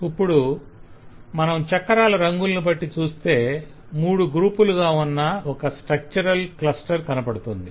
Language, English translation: Telugu, so if we look at the colour of the wheels, then we get three groups